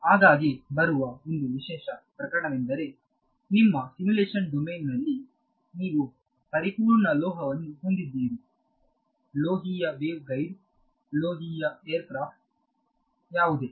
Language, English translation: Kannada, So a special case that often arises that in your simulation domain you have metal perfect metal: metallic waveguide, metallic aircraft, whatever right